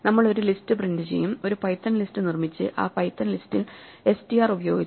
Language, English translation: Malayalam, We will print out a list by just constructing a python list out of it and then using str on the python list